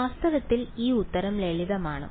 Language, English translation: Malayalam, In fact, this answer is simpler